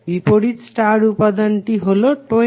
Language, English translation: Bengali, Opposite star element is 20